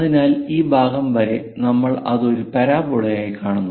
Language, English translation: Malayalam, So, up to this portion, we see it as a parabola